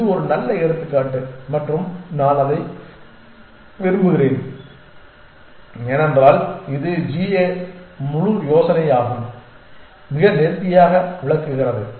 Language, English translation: Tamil, And it is a nice example and I like it, because it illustrate the whole idea of g a quite nicely